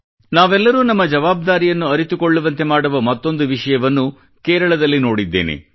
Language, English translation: Kannada, I have seen another news from Kerala that makes us realise our responsibilities